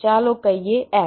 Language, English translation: Gujarati, lets say f